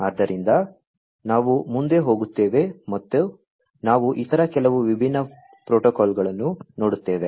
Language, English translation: Kannada, So, we will go further and we will have a look at few other different protocols